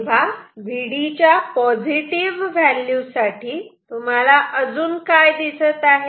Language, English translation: Marathi, For some value of V d which is positive and what else can you see ok